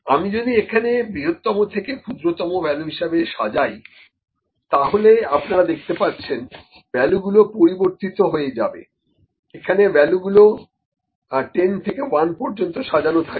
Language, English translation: Bengali, If I do from largest to smallest from largest to smallest, you know the values are changed here, it has sorted from the 10 to 1